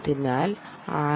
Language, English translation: Malayalam, but for the